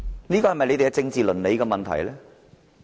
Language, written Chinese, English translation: Cantonese, 這不是他們的政治倫理嗎？, Isnt this their political ethics?